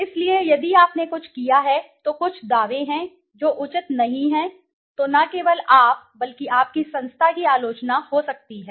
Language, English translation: Hindi, So, if you have done some, given some claims which are not proper then not only you but your institution might get criticized